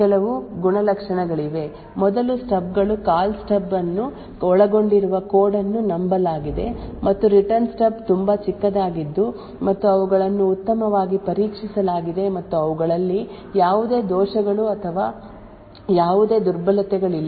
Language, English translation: Kannada, so now there are certain properties for these stubs first the stubs are trusted the code comprising of the Call Stub and the Return Stub are extremely small and they are well tested and there are no bugs or anyone vulnerabilities present in them, second these stubs are present outside the fault domain